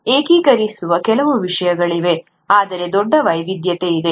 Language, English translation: Kannada, There are certain things which are unifying, yet there’s a huge diversity